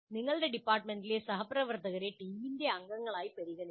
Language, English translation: Malayalam, And you have to treat your department colleagues as members of a team